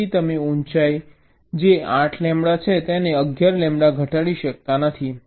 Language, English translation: Gujarati, so you cannot reduce the height, which is eight lambda by eleven lambda